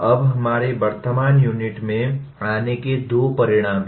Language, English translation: Hindi, Now coming to our present unit, there are two outcomes